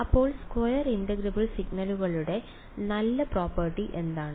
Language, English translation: Malayalam, So, what is the nice property of square integrable signals